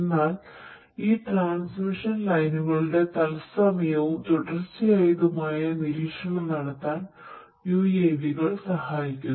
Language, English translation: Malayalam, So, UAVs could be used to do real time continuous monitoring of these transmission lines